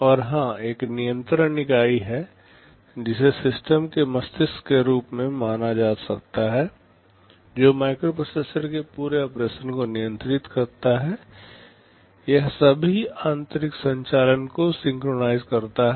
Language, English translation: Hindi, And of course, there is a control unit which can be considered as the brain of the system, which controls the entire operation of the microprocessor, it synchronizes all internal operations